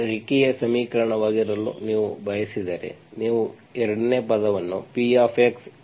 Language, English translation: Kannada, If you want this to be a linear equation, you should have the 2nd term should be Px into some z